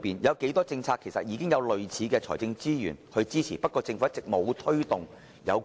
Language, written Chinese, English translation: Cantonese, 有多少政策其實已獲財政撥款，只是政府一直沒有推動而已？, How many policies have already secured provisions yet no action has been taken by the Government so far?